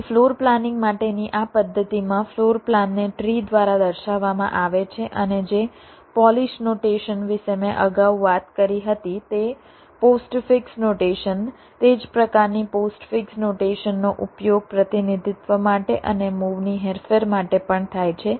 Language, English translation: Gujarati, ok, so so in this method for floor planning, the floor plan is represented by a tree and the polish notation that i talked about earlier, that postfix notation, that same kind of postfix notation, is used for representation and also for manipulation of the moves